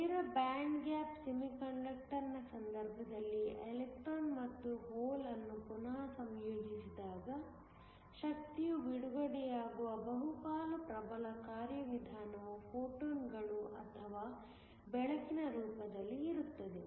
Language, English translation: Kannada, In the case of a direct band gap semiconductor when the electron and hole recombine the majority of the dominant mechanism by which energy is released is in the form of photons or light